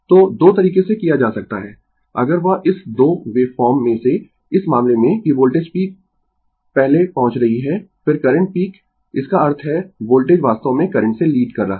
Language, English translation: Hindi, So, ah 2 ways can be done if that out of this 2 wave form in this case that voltage peak is your reaching first then the current peak; that means, voltage actually leading the current